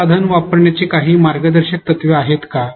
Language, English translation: Marathi, Are there any guidelines to use this tool